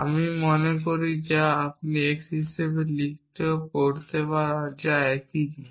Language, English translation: Bengali, I think which we can also read as write as x which is the same thing